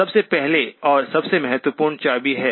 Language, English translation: Hindi, First and for most that is the key